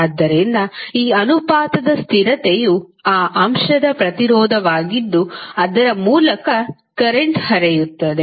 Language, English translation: Kannada, So, this proportionality constant was the resistance of that element through which the current is flowing